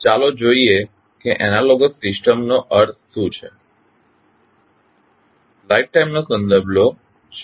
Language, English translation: Gujarati, Let us see what does analogous system means